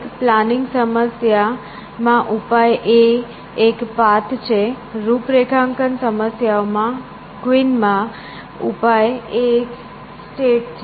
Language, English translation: Gujarati, In planning problems, the solution is a path; in configuration problems, solution is a state